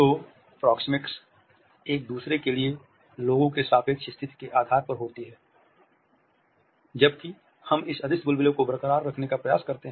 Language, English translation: Hindi, So, proxemics occurs by virtue of people’s relative position to each other whereas we also try to keep this invisible bubble intact